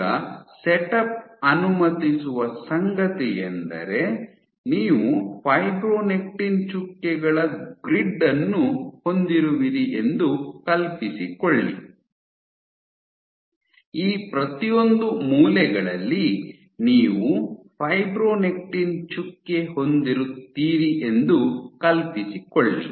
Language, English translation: Kannada, So, imagine you have a grid of fibronectin dots, imagine at each of these corners you have a fibronectin dot